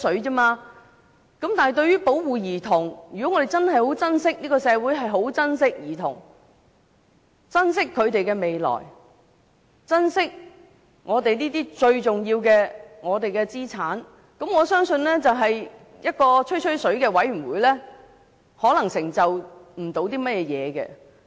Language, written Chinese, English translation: Cantonese, 但對於保護兒童，如果我們的社會真的十分珍惜兒童、珍惜他們的未來、珍惜我們這些最重要的資產，我相信一個"吹吹水"的委員會不能有甚麼成就。, So is it not meant for chit - chat too? . But from the perspective of the protection of children if our society truly cherishes children cherishes their future and cherishes these very important assets of ours I believe a chit - chat Commission cannot achieve a lot of results